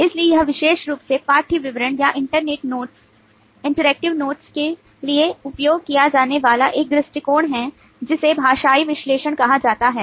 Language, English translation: Hindi, so this is an approach specifically used for textual description of interactive notes is called a linguistic analysis